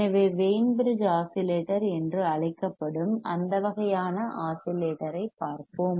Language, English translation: Tamil, So, let us see that kind of oscillator that is called Wein bridge oscillator